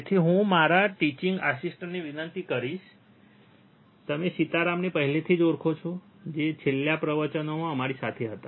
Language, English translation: Gujarati, So, I will request my teaching assistant, you already know him Sitaram who was us with us in the last lectures right